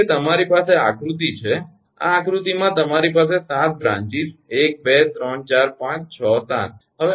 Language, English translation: Gujarati, because you have this diagram, this diagram, you have seven branches: one, two, three, four, five, six, seven